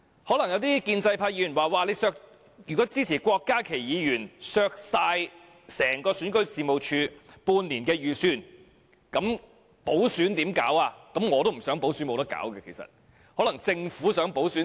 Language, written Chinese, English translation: Cantonese, 可能有些建制派議員會說，如果支持郭家麒議員削減整個選舉事務處半年預算，那麼如何舉行補選？, Some Members of the pro - establishment camp may say that if they support Dr KWOK Ka - kis amendment to cut half - year estimated expenditure of the Registration and Electoral Office then how can the by - election be held?